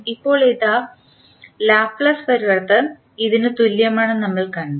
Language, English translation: Malayalam, Now, the Laplace transform of this we saw equal to this